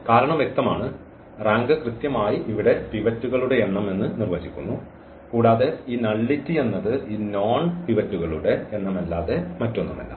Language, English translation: Malayalam, The reason is clear because the rank defines exactly the number of pivots here and this nullity is nothing but the number of this known pivots